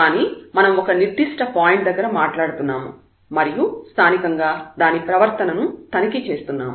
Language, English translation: Telugu, But we are talking about at a certain point and checking its behavior locally